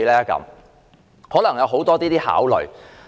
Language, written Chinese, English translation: Cantonese, 箇中可能有很多考慮。, A lot of considerations may be involved